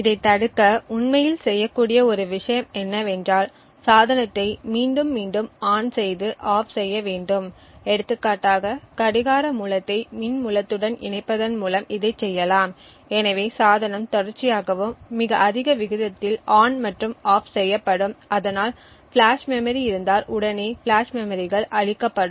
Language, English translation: Tamil, One thing that can be done to actually prevent this is to repeatedly turn the device on and off for example this can be done by say connecting the clock source to the power source therefore the device is continuously and at a very high rate turned on and off and what would happen if there are flash memories present is that the flash memories would get destroyed